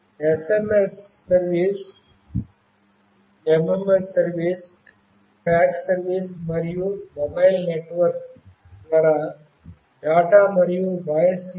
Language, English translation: Telugu, SMS service, MMS service, fax service, and of course data and voice link over mobile network